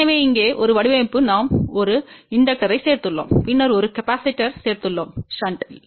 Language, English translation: Tamil, So, here is the design one where we are added a inductor and then we had a added a capacitor in shunt